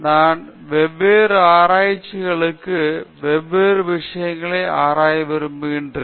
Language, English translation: Tamil, So, I would like to go for different labs and to explore different things